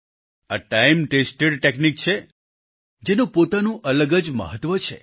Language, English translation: Gujarati, These are time tested techniques, which have their own distinct significance